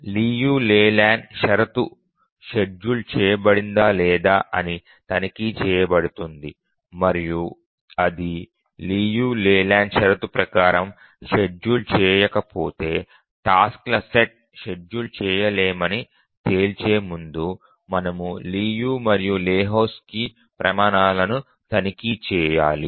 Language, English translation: Telugu, Check the layland condition, whether it is schedulable and if it is not schedulable according to Liu Leyland and before concluding that the task set is not schedulable, we need to try the Liu and Lahutski's criterion